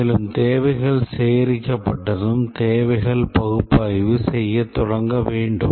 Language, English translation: Tamil, And once the requirements is gathered, start doing the requirements analysis